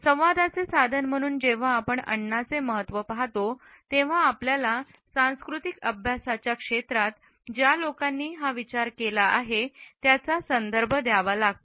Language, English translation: Marathi, When we look at the significance of food as a means of communication, we have to refer to those people who had pioneered this thought in the area of cultural studies